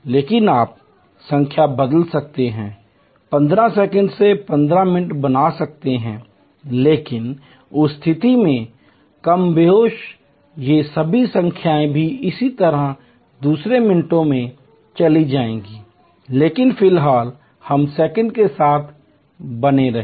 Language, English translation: Hindi, But, you can change the number 15 seconds can become 15 minutes, but in that case more or less all of these numbers will also similarly go from second to minutes, but at the moment let us stay with the seconds